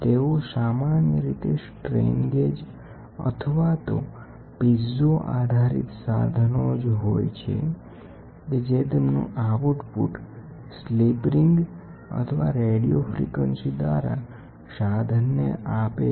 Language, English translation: Gujarati, They are generally strain gauge or piezo based torsional measuring devices and transmit their output to the instrument either by slip rings or by radio frequency